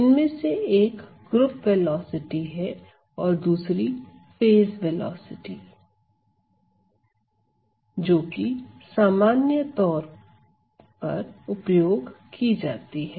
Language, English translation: Hindi, One of them being the so called group velocity right and the other one that is commonly used is the so called phase velocity